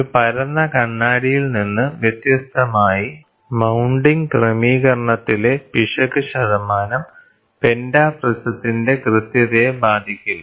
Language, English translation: Malayalam, So, unlike flat mirror, the accuracy of pentaprism is not affected by the error percent in the mounting arrangement